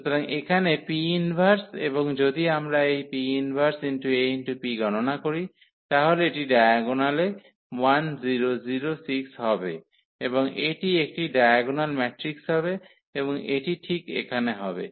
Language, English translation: Bengali, So, here the P inverse and if we compute this P inverse AP, so that is coming to be 1 6 in the diagonal and it is a diagonal matrix and this is exactly the point here